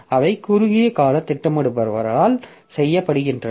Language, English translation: Tamil, So, that is done by short term scheduler